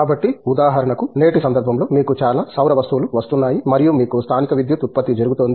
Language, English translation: Telugu, So, for instance in today's context you know, you have lot of solar things coming up and you have local generation of power happening